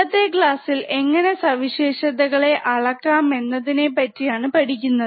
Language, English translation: Malayalam, And the today’s class is on how to measure those characteristics